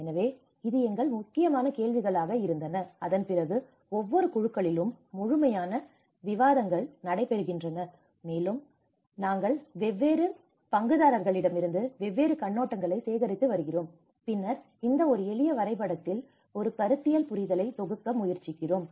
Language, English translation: Tamil, So this was our main important questions and after that is the thorough discussions happen within each groups, and we are collecting different viewpoints from different stakeholders, and then we try to compile in this one simple diagram a conceptual understanding